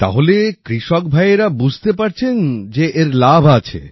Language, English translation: Bengali, So do farmers also understand that it has benefits